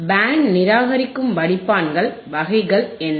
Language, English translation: Tamil, What are the kinds of band reject filters